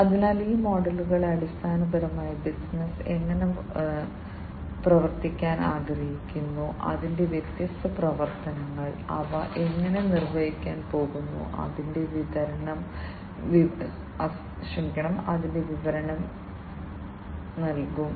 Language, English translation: Malayalam, So, these models basically will give the description of how the business wants to operate, its different operations, how it is how they are going to be performed